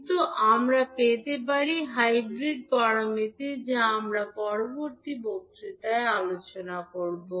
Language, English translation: Bengali, But we can have the hybrid parameters which we will discuss in the next lectures